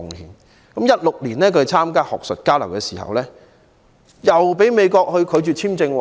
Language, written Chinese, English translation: Cantonese, 他在2016年參加學術交流時，被美國拒絕簽證。, When he intended to join an academic exchange in 2016 he was not granted a visa by the United States